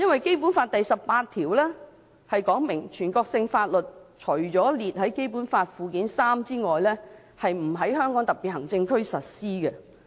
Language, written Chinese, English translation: Cantonese, 《基本法》第十八條訂明，"全國性法律除列於本法附件三者外，不在香港特別行政區實施。, Article 18 of the Basic Law provides that [n]ational laws shall not be applied in the Hong Kong Special Administrative Region except for those listed in Annex III to this Law